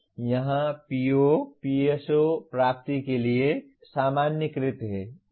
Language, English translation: Hindi, So here PO/PSO attainments are normalized to 1